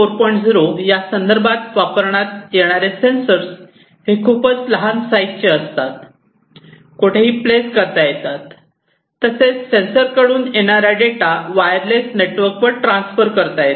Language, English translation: Marathi, 0 in general sensors that are used are very small in size, and they can be placed anywhere and these data from the sensors can be transferred over some networks, typically, wireless in nature